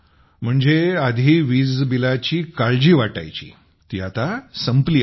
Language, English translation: Marathi, That is, in a way, the earlier concern of electricity bill is over